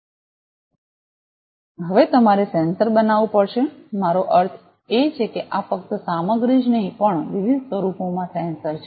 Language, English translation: Gujarati, Now, you will have to make the sensor as well I mean this is not only the material, but sensor in different forms